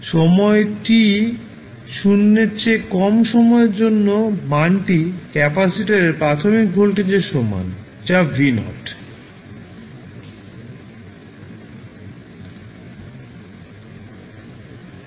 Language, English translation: Bengali, For time t less than 0 the value is equal to the initial voltage across the capacitor that is v naught